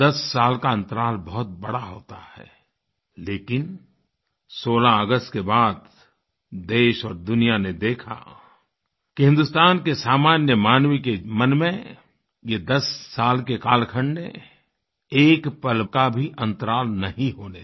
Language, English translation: Hindi, Ten years is a huge gap but on 16th August our country and the whole world witnessed that there was not a gap of even a single moment in the commonman's heart